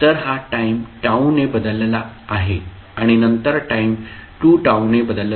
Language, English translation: Marathi, So, this is time shifted by T then time shifted by 2T and so on